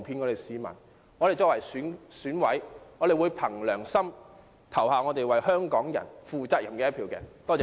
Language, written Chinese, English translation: Cantonese, 我們作為選委，會憑良心為香港人投下負責任的一票。, As members of the Election Committee we will cast a responsible vote on behalf of Hong Kong people according to our conscience